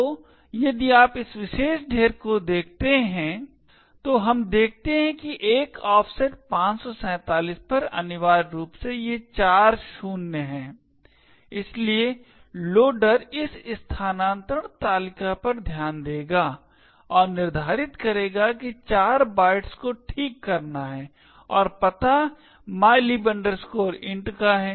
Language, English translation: Hindi, So, if you look at this particular dump we see that at an offset 547 is essentially these four zeros and therefore the loader will look into this relocation table and determine that 4 bytes have to be fixed and the address is that of mylib int